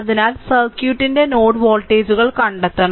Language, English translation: Malayalam, So, you have to find out the node voltages of the circuit